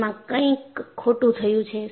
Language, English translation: Gujarati, So, something has gone wrong